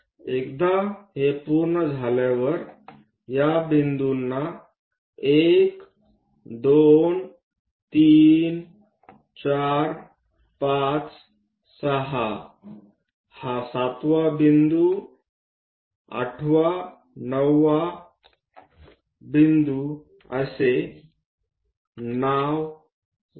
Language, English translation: Marathi, Once it is done, let us name these points 1, 2, 3, 4 all the way 5, 6, this is the 7th point, 8th, 9